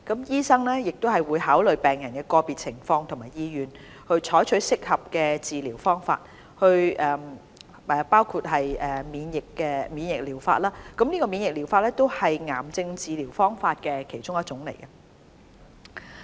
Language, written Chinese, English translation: Cantonese, 醫生會考慮病人的個別情況和意願，採取適合的治療方法，包括免疫療法，而免疫療法也是癌症治療方法中的一種。, Doctors will consider the condition and wish of a patient in deciding what type of cancer treatment is suitable for the patient including immunotherapy and immunotherapy is one of the cancer treatment options